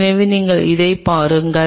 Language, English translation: Tamil, So, if you look at it